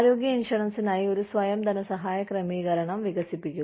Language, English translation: Malayalam, Develop a self funding arrangement, for health insurance